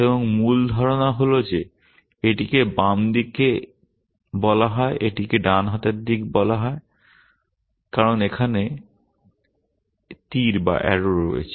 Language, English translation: Bengali, And the basic idea is that this is called the left hand side this is called the right hand side because of the arrow here